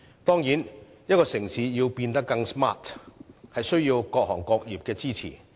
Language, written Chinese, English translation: Cantonese, 當然，一個城市要變得更 smart， 必須得到各行各業的支持。, Certainly a city must have the support of various trades and industries in order to become smarter